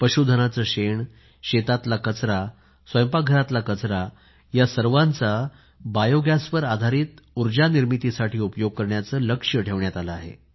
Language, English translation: Marathi, A target has been set to use cattle dung, agricultural waste, kitchen waste to produce Bio gas based energy